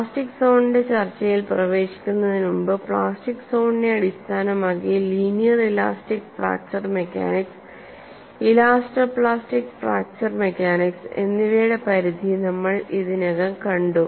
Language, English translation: Malayalam, And before we get into the discussion of plastic zone, we have already seen the range of linear elastic fracture mechanics and elastoplastic fracture mechanics, based on the plastic zone